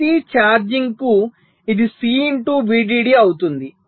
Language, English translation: Telugu, so for every charging it will be c into v